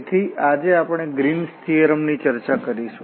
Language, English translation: Gujarati, So, today we will discuss Green’s theorem